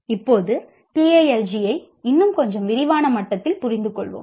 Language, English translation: Tamil, Now let us understand the Talji at a little more detail level